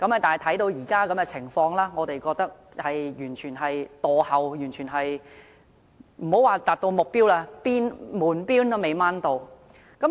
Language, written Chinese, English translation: Cantonese, 但是，觀乎現時的情況，我認為完全是墮後的，莫說是達到目標，連門邊也未能攀上。, But as we can now observe the Government is definitely behind the target not to say reaching the target . It is not even close